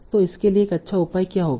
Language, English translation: Hindi, So what will be a good measure for this